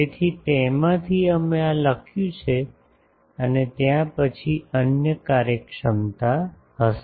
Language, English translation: Gujarati, So, out of that we have written up to this there will be other efficiencies later